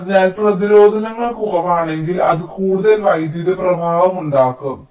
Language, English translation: Malayalam, so if resistances becomes less, it can drive more current